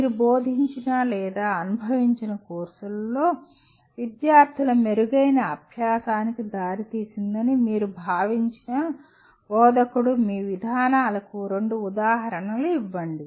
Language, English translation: Telugu, Give two examples of your approaches to instruction you felt led to better learning by students in the courses you taught or experienced